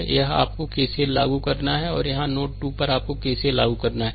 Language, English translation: Hindi, So, here you have to apply KCL, and here at node 2 you have to apply KCL